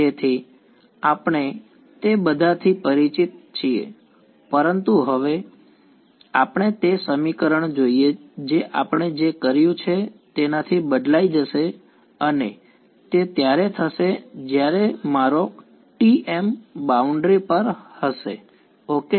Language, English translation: Gujarati, So, we are familiar with all of that, but now let us look at that equation which will get altered by what we have done and that will happen when my T m is on the boundary ok